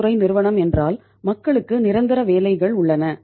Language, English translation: Tamil, Public sector company means people have the permanent jobs